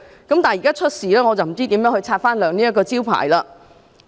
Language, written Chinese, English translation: Cantonese, 但是，現時出現事故，我不知道如何擦亮這個招牌？, However as some incidents have taken place I do not know how it can build this reputable brand